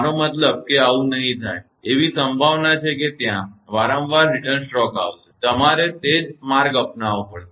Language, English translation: Gujarati, I mean will not this happen; there is a possibility that there will be repeated return stroke, you have to follow the same path